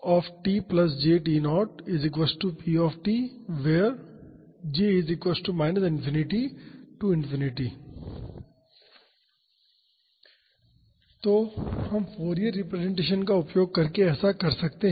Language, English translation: Hindi, So, we can do that using Fourier representation